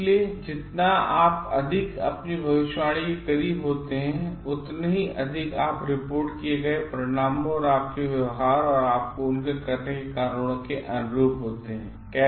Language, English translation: Hindi, So, the more closer you are to your predicting things, the more consistent you are in the reported results and your behaviour and reasons of doing things